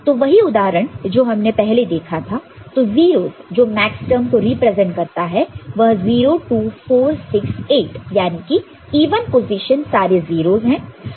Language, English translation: Hindi, So, the same example that we had seen before; so, the 0s that represents the maxterms so, 0, 2, 4, 6, 8 even positions they are zeroes